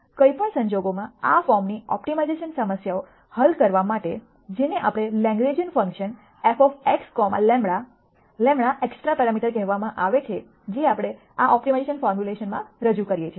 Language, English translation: Gujarati, In any case to solve optimization problems of this form we can de ne what is called a Lagrangian function f of x comma lamda, lamda are extra parameters that we introduce into this optimization formulation